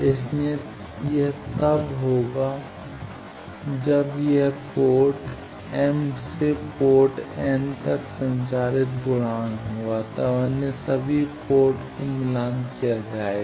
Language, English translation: Hindi, So, it will be yes when it is transmission coefficient from port m to port n when all other ports are match terminated